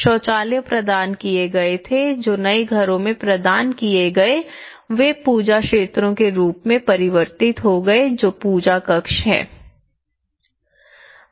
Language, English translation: Hindi, Even, toilets were provided which were provided in the new houses they are converted as the worship areas which is puja rooms